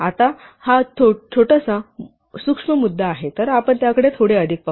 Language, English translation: Marathi, Now this is a slightly subtle point, so let us just look at it little more